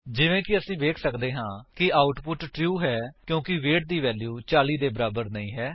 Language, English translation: Punjabi, As we can see, the output is true because the values of weight is not equal to 40